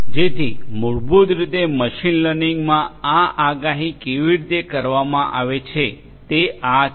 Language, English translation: Gujarati, So, this is basically how this prediction is done in machine learning